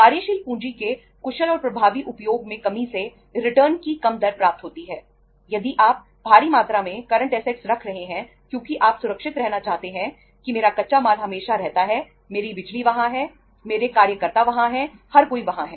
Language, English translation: Hindi, If you are keeping huge amount of current assets that you want to remain safe, that my raw material is always there, my power is there, my workers are there, everybody is there